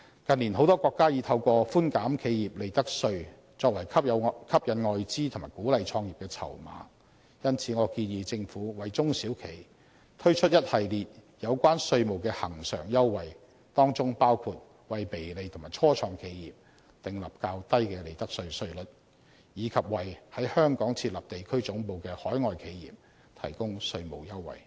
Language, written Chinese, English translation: Cantonese, 近年，很多國家已透過寬減企業利得稅作為吸引外資及鼓勵創業的籌碼，因此，我建議政府為中小企推出一系列有關稅務的恆常優惠，當中包括為微利及初創企業訂立較低的利得稅稅率，以及為在香港設立地區總部的海外企業提供稅務優惠。, They are in stark contrast to the SAR Governments patch - up measures . In recent years many countries have been trying to attract foreign investment and encourage start - up businesses by reducing profits tax as their bargaining chips . For that reason I suggest that the Government should introduce a host of recurrent tax concessions for SMEs including the formulation of a lower profits tax rate for small low - profit enterprises and start - up businesses and the provision of tax concessions for overseas corporations which are setting up regional headquarters in Hong Kong